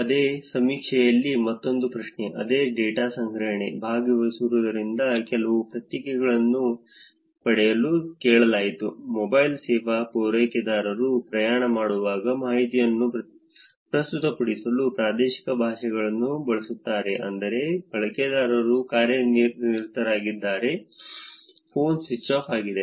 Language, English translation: Kannada, Another question in the same survey, same data collection, which was asked to get some responses from participants While traveling the mobile service providers use regional languages to present information, that is, user busy, phone switched off